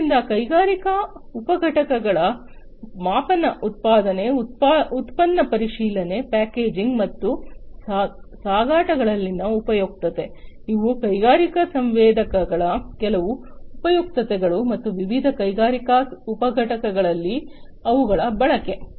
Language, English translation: Kannada, So, utility in industrial subunits measurement production, product inspection, packaging, and shipping, these are some of these utilities of industrial sensors and their use, in different industrial subunits